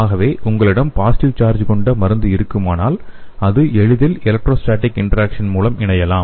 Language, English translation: Tamil, So when you have the drug with the positive charge it can easily go and bind through the electrostatic interaction